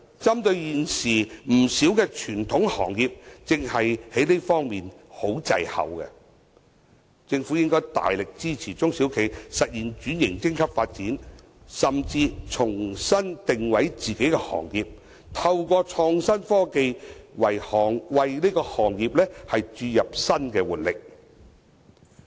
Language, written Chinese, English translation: Cantonese, 針對現時有不少傳統行業正正在這方面十分滯後，政府應該大力支援中小企實現升級轉型發展，甚至為自己的行業重新定位，透過創新科技為行業注入新的活力。, Given that many traditional industries are lagging far behind in this respect the Government should give substantial support to SMEs to upgrade transform and develop their businesses and even to reposition themselves by infusing new momentum into their industries through innovative technologies